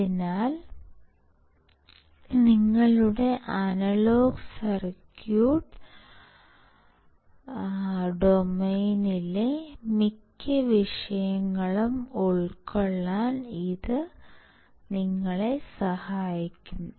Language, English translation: Malayalam, So, it will help you to cover most of the topics, in your analog circuit domain